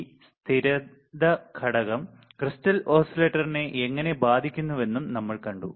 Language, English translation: Malayalam, We have also seen how this stability factor affects the crystal oscillator